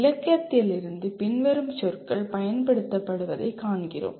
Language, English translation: Tamil, From the literature we find the following words are used